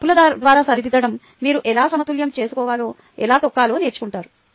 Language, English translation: Telugu, through your mistakes, you will learn how to balance, how to write